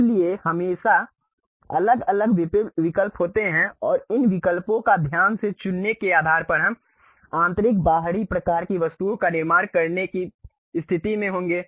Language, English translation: Hindi, So, there always be different options and based on carefully picking these options we will be in a position to really construct internal external kind of objects